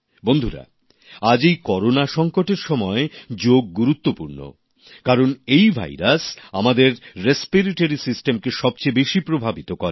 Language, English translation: Bengali, during the present Corona pandemic, Yoga becomes all the more important, because this virus affects our respiratory system maximally